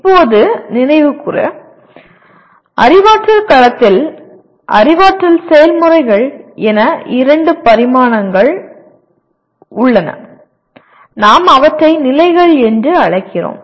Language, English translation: Tamil, Okay to recap, cognitive domain has two dimensions namely cognitive processes; we also call them levels